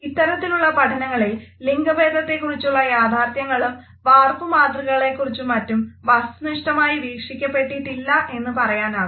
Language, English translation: Malayalam, In these type of researches we would find that the true situation of gender roles, the stereotypes etcetera have not been objectively viewed